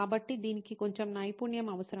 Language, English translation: Telugu, So, it takes a bit of skill